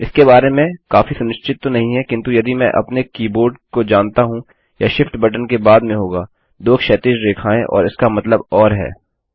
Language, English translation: Hindi, Not quiet sure about that but if you know my keyboard it will be next to the shift key two vertical line that means or